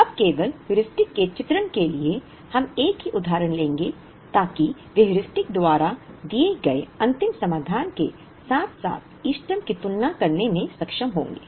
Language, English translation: Hindi, Now, only for the sake of illustration of the Heuristic, we will take the same example so that they will be able to compare the final solution given by the Heuristic as well as the optimum